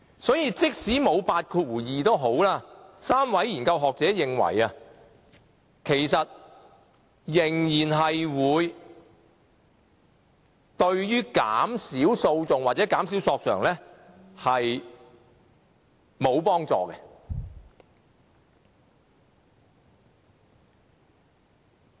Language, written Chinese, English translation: Cantonese, 所以，即使沒有類似第82條的酌情權 ，3 位學者仍然認為對減少訴訟或索償沒有幫助。, Therefore the three scholars hold that providing for the discretion like clause 82 is not helpful in reducing the number of lawsuits or claims